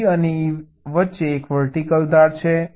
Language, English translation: Gujarati, d and e, there is a vertical edge